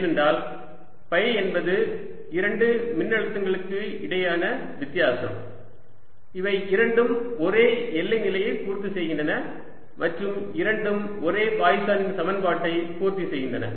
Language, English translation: Tamil, because phi is the difference between the two potentials, where both satisfy this same boundary condition and both satisfy the same poisson's equation